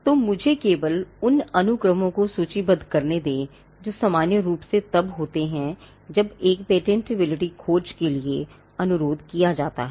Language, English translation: Hindi, So, let me just list the list of sequences that would normally happen when a patentability search is requested for